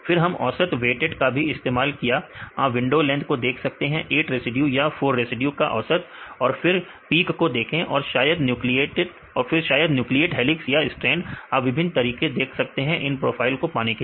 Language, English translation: Hindi, Then we also used the weighted average you see the window length average of 8 residues or 4 residues, and see the peak and they probably nucleate helix or strand right you can see various methods to get these profiles